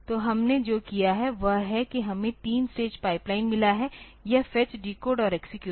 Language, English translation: Hindi, So, what we have done is we had 3 stage pipeline this fetch, decode and execute